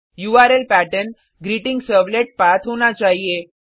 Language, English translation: Hindi, The URL pattern should be GreetingServletPath